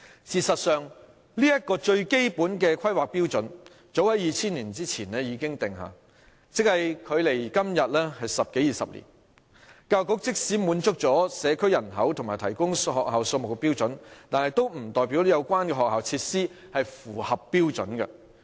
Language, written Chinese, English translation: Cantonese, 事實上，這個最基本的規劃標準早於2000年以前已經訂下，即距今十多二十年，教育局即使滿足了社區人口與提供學校數目的標準，也不代表有關的學校設施是符合標準的。, In fact this fundamental planning standard was formulated before 2000 that is some 10 to 20 years ago . Even if the Education Bureau has satisfied the standard concerning community population and the number of schools provided it does not mean that the school facilities concerned are up to standard